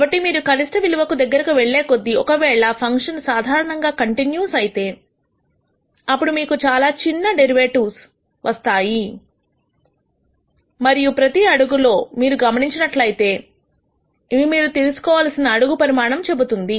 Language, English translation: Telugu, So, as close to the optimum if the function is reasonably continuous then you are going to have derivatives which are very small and if you notice each of these steps, this is one thing that dictates the size of the step you take